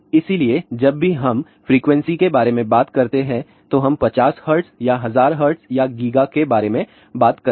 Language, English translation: Hindi, So, whenever we talk about frequency we talk about 50 hertz or 1000 hertz or giga hertz and so on